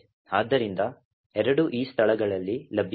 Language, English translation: Kannada, So, both are available at these locations